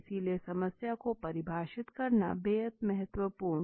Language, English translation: Hindi, The importance of properly defining the problem